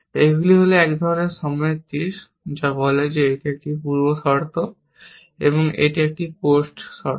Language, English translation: Bengali, These are sort of an arrow of time, which says this is a precondition, and this is a post condition